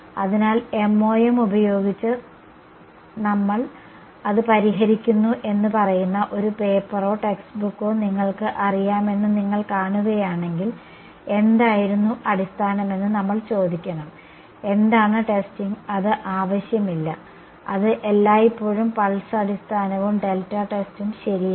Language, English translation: Malayalam, So, if you see you know a paper or text book saying we solve it using MoM, we should ask what was the basis, what was the testing it is not necessary that is always pulse basis and delta test ok